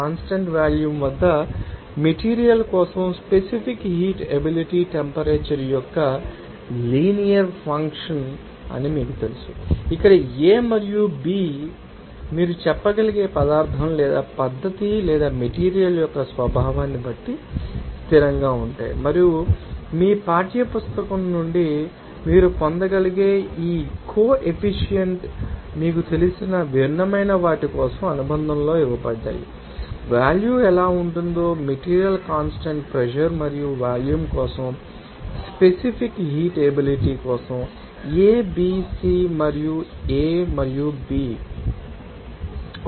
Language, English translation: Telugu, And for you know that specific heat capacity for material at constant volume will be a linear function of temperature, it will where a and b are also constants which are depending on the nature of the substance or method or material you can say and these coefficients you can get it from your textbook is given in the appendix for different you know, materials how what will be the value of a, b, c and a and b for that specific heat capacity for constant pressure and volume respectively